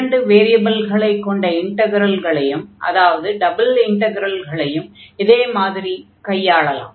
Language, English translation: Tamil, So, similar concept we have for the integral of two variables or the double integrals